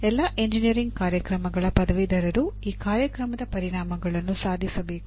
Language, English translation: Kannada, That means graduates of all engineering programs have to attain this program outcomes